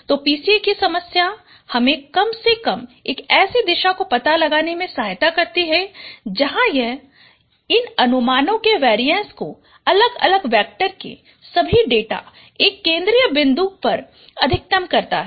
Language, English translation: Hindi, So the problem of PCA is at least you have to find out one such direction where it maximizes the variances of these projections of different vectors, all the data points centering at its main